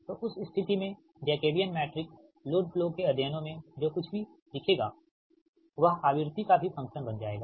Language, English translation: Hindi, so in that case that jacobian matrix, whatever will see in the load flow studies, it will become the function of your what you call that frequency